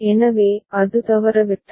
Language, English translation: Tamil, So, that has been missed